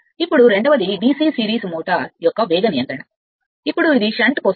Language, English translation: Telugu, Now, second one is that speed control of DC series motor, now this is for shunt